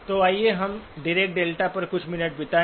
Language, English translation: Hindi, So let us spend a few minutes on the Dirac delta